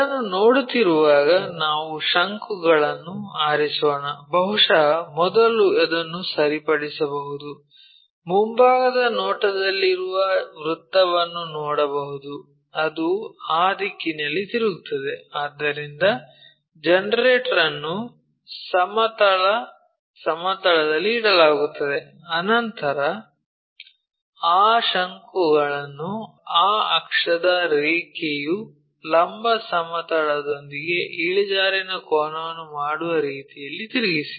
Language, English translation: Kannada, So, when we are looking at that let us pick a cone, maybe first fix in such a way that the entire circle in the front view we can see that, that turn it in that direction, so the generator will be resting on horizontal plane, then rotate that cone in such a way that that axis line makes an inclination angle with the vertical plane